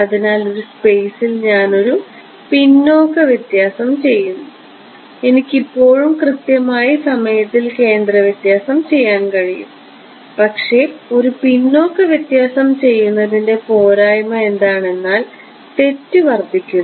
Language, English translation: Malayalam, So, one possibility is I do a backward difference in space I can still do centre difference in time right, but what is the disadvantage of doing a backward difference error is error increases